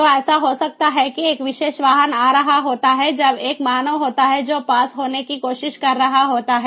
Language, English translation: Hindi, so it might so happen that a particular vehicle would be coming when there is a human who is trying to pass